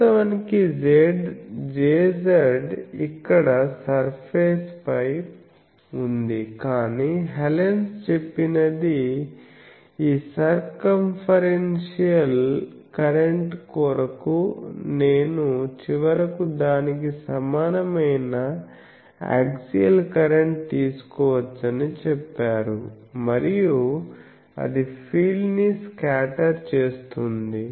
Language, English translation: Telugu, Actually J z is on surface here, but Hallen’s says that these circumferential current I can finally, take an axial current equivalent to that